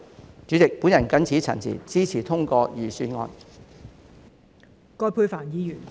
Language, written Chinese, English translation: Cantonese, 代理主席，我謹此陳辭，支持通過預算案。, Deputy President with these remarks I support the passage of the Budget